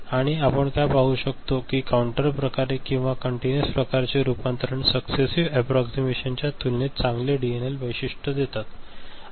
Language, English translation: Marathi, And what we can see that the counter type or continuous type converters usually have better DNL characteristics compared to successive approximation type right